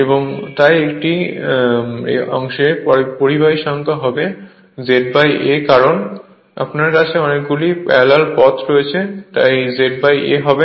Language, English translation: Bengali, And so number of conductors in one part will be Z upon A right because a you have A number of parallel path so Z upon A